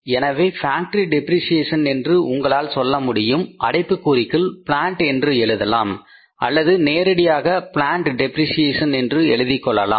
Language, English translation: Tamil, So, you can say factory depreciation in the bracket you can write it as a plant or you can state way write the plant depreciation